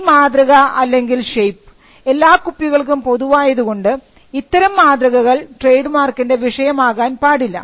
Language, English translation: Malayalam, So, this shape which is common to all bottles cannot be the subject matter of a mark